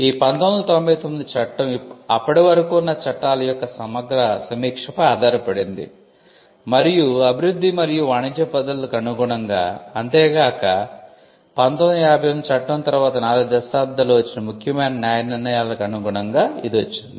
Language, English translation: Telugu, Now, this was based on a comprehensive review of the existing law, and in tune with the development and trade practices, and to give also effect to important judicial decisions which came in the 4 decades after the 1958 act